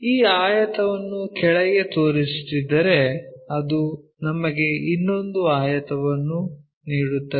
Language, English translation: Kannada, If we are projecting this rectangle all the way down it gives us one more rectangle